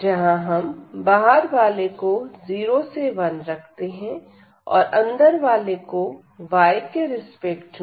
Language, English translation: Hindi, So, here the outer one we keep as 0 to 1 and the inner one with respect to y